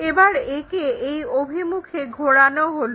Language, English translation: Bengali, It is rotated about this point